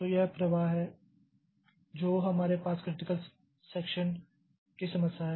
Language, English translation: Hindi, So, this is the flow that we have in the critical section problem